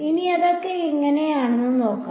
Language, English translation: Malayalam, Now, let us see how that is